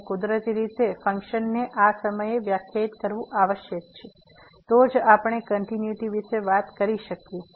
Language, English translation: Gujarati, And naturally the function must be defined at this point, then only we can talk about the continuity